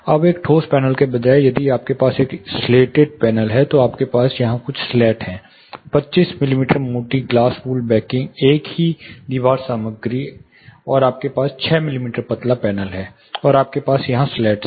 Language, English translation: Hindi, Now, instead of a solid panel if you have a slated panel, you have certain slats here 25 mm thick glass wool backing, same wall material plus you have a 6 mm thin panel and you have slats here